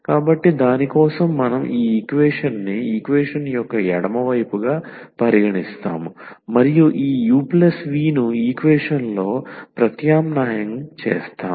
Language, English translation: Telugu, So, for that we will consider this equation the left hand side of the equation and substitute this u plus v into the equation